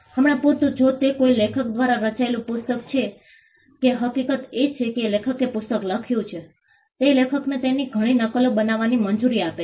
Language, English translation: Gujarati, For instance, if it is a book written by an author the fact that the author wrote the book allows the author to make multiple copies of it